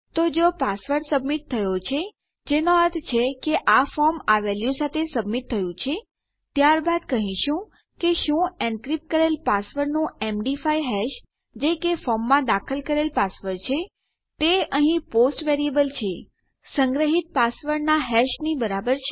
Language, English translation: Gujarati, Okay so if our password has been submitted,which means this form has been submitted with this value then we are saying Does the MD5 hash of the encrypted password that is the password entered in the form, which is our post variable over here, equal the hash of the password stored